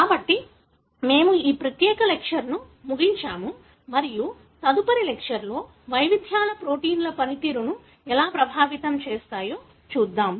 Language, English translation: Telugu, So, with that we end this particular lecture and in the next lecture we will see how the variations affect the proteins function